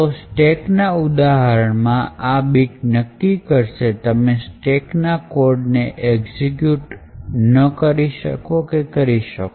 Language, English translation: Gujarati, So, therefore the example in the stack this particular bit would ensure that you cannot execute code from the stack